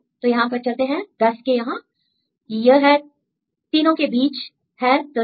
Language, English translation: Hindi, So, go this 10 here; this is again among these 3 is 13